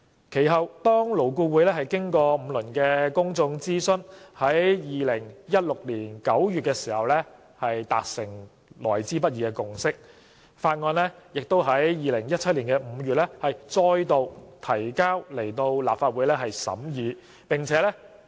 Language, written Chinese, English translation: Cantonese, 其後，勞顧會經過5輪公眾諮詢，於2016年9月達成來之不易的共識，當局遂於2017年5月再度向立法會提交《條例草案》。, Subsequently a hard - won consensus was reached in LAB in September 2016 after five rounds of public consultation . The authorities then introduced the Bill to the Legislative Council again in May 2017